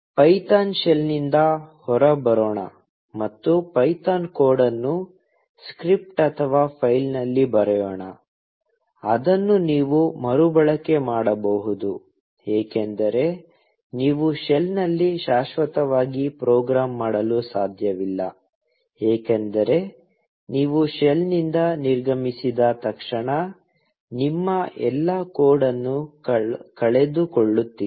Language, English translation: Kannada, Let us get out of the python shell, and write a python code in a script, or a file, which you can reuse; because you cannot program in the shell forever; because, as soon as you exit the shell you just lose all your code